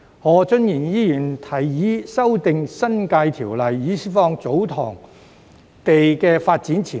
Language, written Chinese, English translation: Cantonese, 何俊賢議員提議修訂《新界條例》，以釋放祖堂地的發展潛力。, Mr Steven HO proposes to amend the New Territories Ordinance for releasing the development potential of TsoTong lands